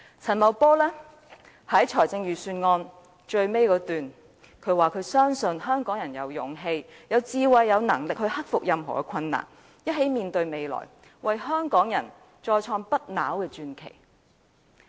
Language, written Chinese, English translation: Cantonese, 陳茂波在預算案最後一段提到，他深信香港人有勇氣、智慧和能力去克服任何困難，一起面向未來，為香港再創不朽傳奇。, In the last paragraph of the Budget Paul CHAN indicated that he strongly believes that Hong Kong people have the courage wisdom and ability to overcome all difficulties and together we can rise to challenges ahead and scale new heights while sustaining the legend of Hong Kong